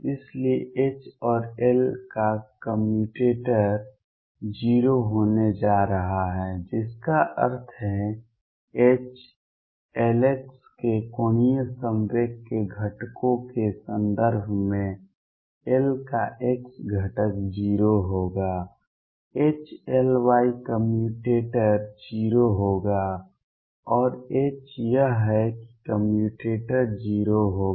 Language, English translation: Hindi, So, commutator of H and L is going to be 0 what that means, in terms of components of angular movement of H L x the x component of L will be 0 H L y commutator would be 0 and H is that commutator would be 0